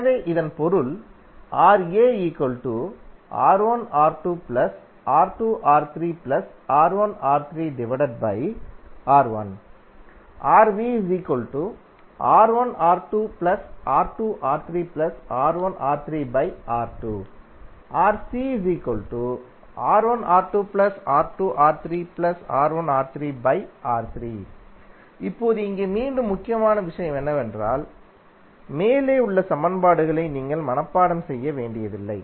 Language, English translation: Tamil, Now here again, the important thing is that you need not to memorize the above equations